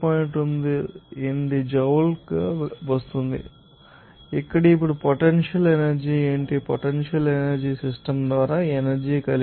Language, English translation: Telugu, 28 joule per kg, here, now what is potential energy, the potential energy is energy by the system, that is possesses